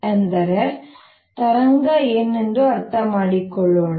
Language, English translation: Kannada, so let us understand what a wave is